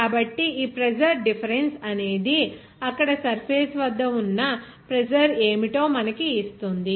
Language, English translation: Telugu, So, this pressure difference will give you that what would be the pressure at the surface there